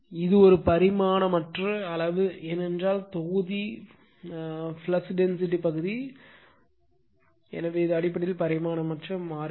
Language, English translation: Tamil, So, it is a dimensionless quantity, because numerator also flux density, denominator also flux density, so it is basically dimensionless constant